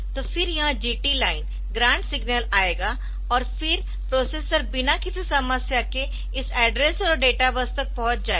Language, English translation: Hindi, So, then this GT line the grant signal will come and then ah the processor will be accessing this address and data bus without any problem